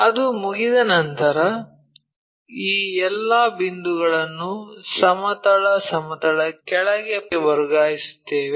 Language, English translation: Kannada, Once that is done, we transfer all these points onto horizontal plane, down